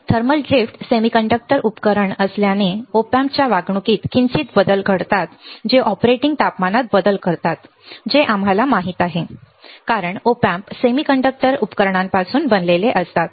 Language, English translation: Marathi, Thermal drift being a semiconductor devices Op Amps are subject to slight changes in behavior which changes in the operating temperature that we know right because Op Amps are made up out of semiconductor devices